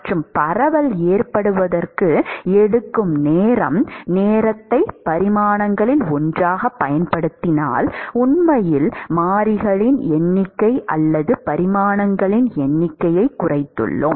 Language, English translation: Tamil, And the time that it takes for the diffusion to occur, we have actually reduced the number of variables or the number of dimensions if you use time as one of the dimensions